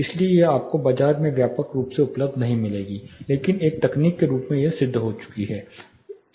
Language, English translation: Hindi, So, it is not you know widely available in market, but as a technology it has been proven